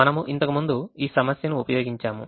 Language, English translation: Telugu, we have actually used this problem before